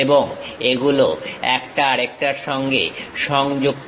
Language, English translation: Bengali, And, these are connected with each other